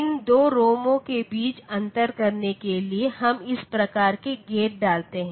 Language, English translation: Hindi, So, for differentiating between these 2 ROMs, what we do we put this type of gate